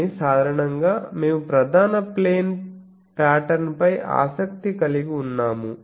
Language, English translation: Telugu, But generally we are interested in the principal plane patterns, so we keep some fixed